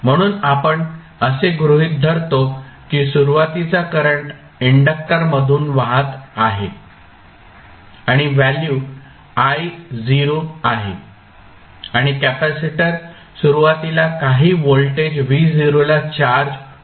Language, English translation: Marathi, So, we assume that there is some initial current flowing through the inductor and the value is I not and capacitor is initially charged with some voltage v not